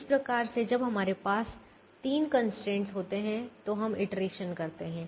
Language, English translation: Hindi, this is how we do the iterations when we have three constraints